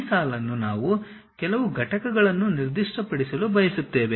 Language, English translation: Kannada, Now, this line we would like to specify certain units